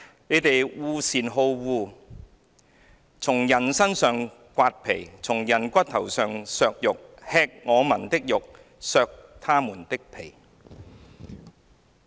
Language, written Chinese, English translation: Cantonese, 你們惡善好惡，從人身上剝皮，從人骨頭上剔肉；吃我民的肉，剝他們的皮"。, You who hate the good and love the evil who tear the skin from off my people and their flesh from off their bones; who eat the flesh of my people and flay their skin from off them